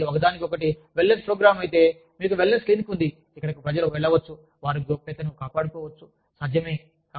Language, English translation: Telugu, If, it is a one on one wellness program, you have a wellness clinic, where people can go, them maintaining confidentialities, possible